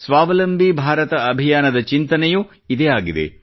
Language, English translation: Kannada, The same thought underpins the Atmanirbhar Bharat Campaign